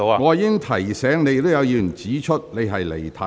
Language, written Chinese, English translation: Cantonese, 我已提醒你，亦有議員指出你離題。, I already reminded you . A Member also pointed out that you had digressed from the subject